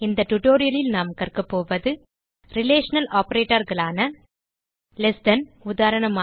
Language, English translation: Tamil, In this tutorial, we learnt Relational operators like Less than: eg